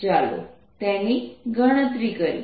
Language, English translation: Gujarati, lets calculate those